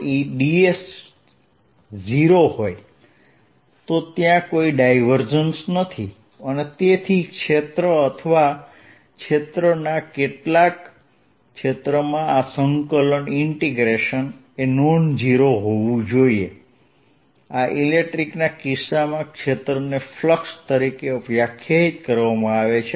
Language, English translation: Gujarati, recall that if this quantity is zero, there is no divergence and therefore a field or this, this some some integration of the field over the area has to be non zero in order for divergence to be non zero and this, in the case of electric field, is defined as the flux